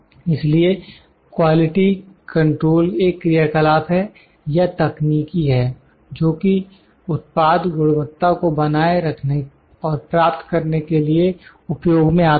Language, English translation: Hindi, So, the quality control is the activities or techniques which are used to achieve and maintain the product quality, so that is quality control